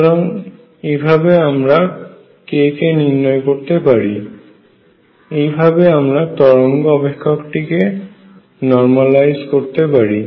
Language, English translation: Bengali, So, this is how we count k, and this is how we normalize the wave function